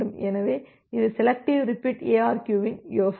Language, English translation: Tamil, So, this is the idea of the selective repeat ARQ